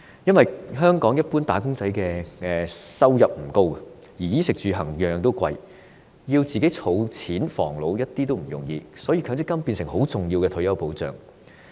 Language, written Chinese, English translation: Cantonese, 因為，香港一般"打工仔"的收入不高，但衣食住行昂貴，想儲錢防老絕不容易，所以強積金便變成重要的退休保障。, The reason is that the income of general wage earners in Hong Kong is relatively low but their expenses on clothing food accommodation and transportation are high . Given that saving up money for support in the old age is extremely difficult MPF has become an important source of retirement protection